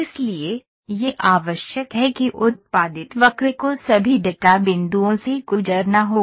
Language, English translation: Hindi, So, it is necessary that the curve produced will have to go through all the data points